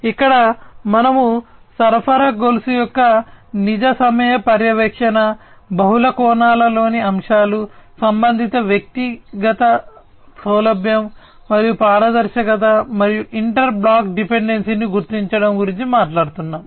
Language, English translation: Telugu, Here we are talking about real time monitoring of supply chain, elements in multiple dimensions, ease and transparency for related personal, and identification of inter block dependency